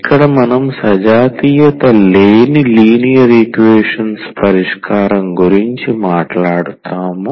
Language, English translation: Telugu, We will be talking about the solution of non homogeneous linear equations